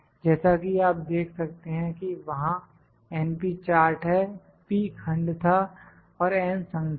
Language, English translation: Hindi, As you can see the np chart is there, p was the fraction and n is the number